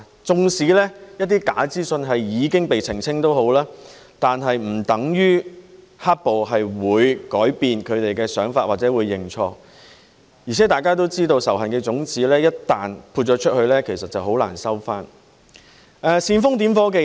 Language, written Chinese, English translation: Cantonese, 縱使一些假資訊已經被澄清，但是不等於"黑暴"分子會改變他們的想法或認錯，而且大家都知道仇恨的種子一旦播了出去，其實很難收回，煽風點火的人......, Even though some false information has already been debunked it does not mean that the black - clad violence perpetrators will change their minds or admit their mistakes . Moreover we all know that once the seeds of hatred have been sown it is very difficult to retrieve them